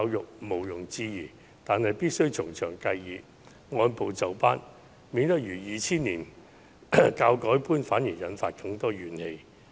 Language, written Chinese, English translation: Cantonese, 這是毋庸置疑的，但必須從長計議，按部就班，以免落得如2000年的教改般，反而引發更多怨氣。, However it is essential to consider thoroughly and adopt a step - by - step approach in order to avoid a repeat of the education reform in 2000 which had ended up triggering more grievances